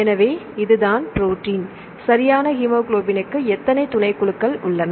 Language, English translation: Tamil, So, this is the protein right hemoglobin has how many subunits